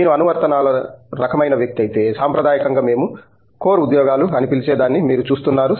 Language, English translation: Telugu, If you are the application kind of person, you probably you are looking at what traditionally we call as core jobs that means like I am